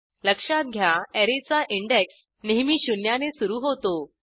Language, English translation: Marathi, Please note that an Array always starts with index zero